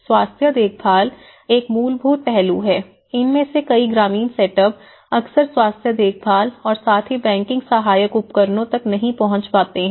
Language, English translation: Hindi, So, health care which is a fundamental aspect so many of these rural set ups they are not often access to the health care and as well as the banking financial instruments